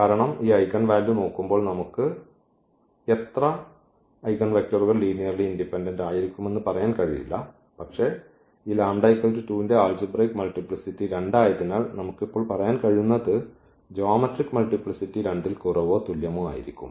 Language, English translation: Malayalam, Because, looking at this eigenvalue we cannot just tell how many eigenvectors will be linearly independent corresponding to a given eigenvalue, but what we can tell now because the multiplicity of this 2 was 2 or the algebraic multiplicity was 2 and we know that the geometric multiplicity will be less than or equal to 2